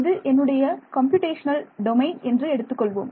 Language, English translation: Tamil, This is my computational domain